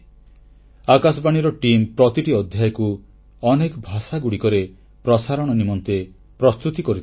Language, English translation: Odia, The team from All India Radio prepares each episode for broadcast in a number of regional languages